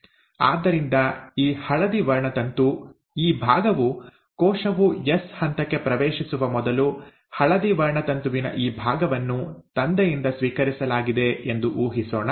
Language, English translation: Kannada, So let us assume this yellow chromosome is what this part, right, this part of the yellow chromosome before the cell entered S phase was received from the father